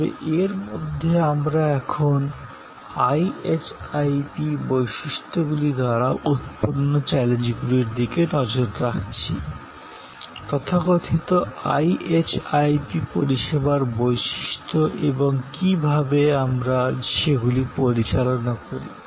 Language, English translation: Bengali, But, within that we are now looking at the challengers post by the characteristics, the so called IHIP characteristics of service and how we manage them